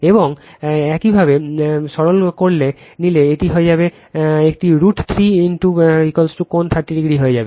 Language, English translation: Bengali, And if you take your simplify, it you it will become a root 3 into V p angle 30 degree right